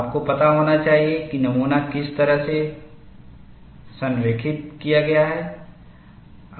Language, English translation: Hindi, You should know which way the specimen is aligned